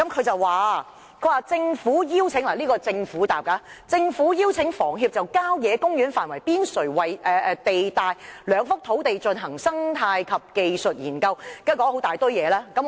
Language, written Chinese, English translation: Cantonese, 政府的答覆是："政府邀請房協就郊野公園範圍邊陲地帶兩幅土地進行生態及技術研究"，然後列舉了很多原因。, First of all the Government said it has invited HKHS to conduct ecological and technical studies on two sites falling within the periphery of country parks and went on to cite a whole host of reasons for the proposal